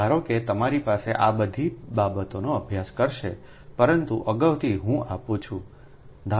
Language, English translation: Gujarati, suppose you have all these things, will study, but in advance i am giving